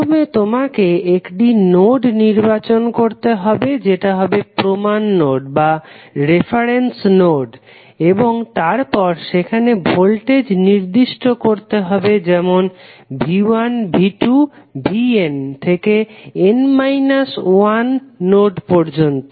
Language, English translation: Bengali, First you have to select a node as the reference node then assign voltages say V 1, V 2, V n to the remaining n minus 1 nodes